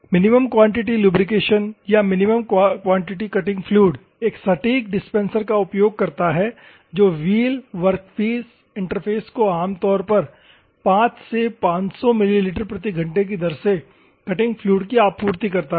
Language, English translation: Hindi, The minimum quantity lubrication or minimum quality cutting fluid uses a precision dispenser to supply the miniscule amount of cutting fluid to the wheel workpiece interface typically in the rate of 5 to 500 ml per hour